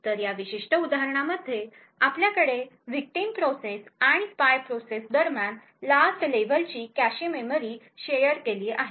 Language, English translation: Marathi, So in this particular example we have the last level cache memory shared between the victim process and the spy process